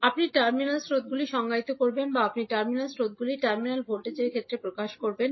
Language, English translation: Bengali, You will define the terminal currents or you will express the terminal currents in terms of terminal voltage